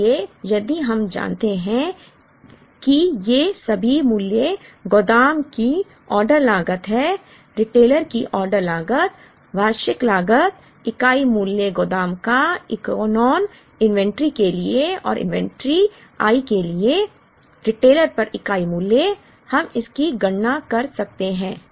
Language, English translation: Hindi, So, if we know all these values ordering cost at the warehouse, ordering cost at the retailer, annual demand, unit price at the warehouse for the Echelon inventory and unit price at the retailer for the inventory i, we can calculate it